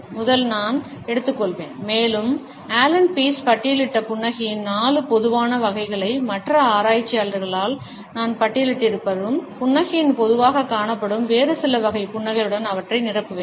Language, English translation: Tamil, I would take up the first 4 common types of a smiles listed by Allan Pease and supplement them with some other commonly found types of a smiles which I have been listed by other researchers